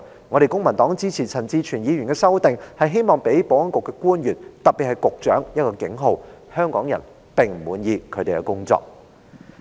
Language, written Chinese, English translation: Cantonese, 我們公民黨支持陳志全議員的修正案，是希望予保安局的官員——特別是局長——一個警號：香港人並不滿意他們的工作表現。, We in the Civic Party support Mr CHAN Chi - chuens amendment with a view to sending the warning signal to the Security Bureau officials in particular the Secretary that Hong Kong people are dissatisfied with their performance